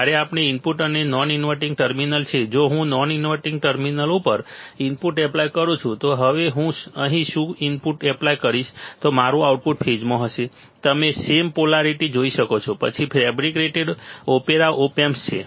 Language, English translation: Gujarati, When the input and non inverting terminal, if I apply input at non inverting terminal, so now, what I will do ill apply input here then my output my output will be will be in phase, you see same polarity same polarity all right, then the opera op amp is fabricated